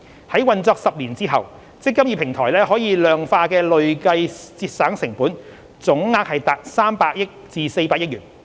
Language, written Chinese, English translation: Cantonese, 在運作10年後，"積金易"平台可量化的累計節省成本總額達300億元至400億元。, After 10 years of operation of the eMPF Platform the total cumulative quantifiable cost savings will reach 30 billion to 40 billion